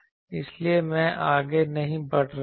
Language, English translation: Hindi, So, I am not further proceeding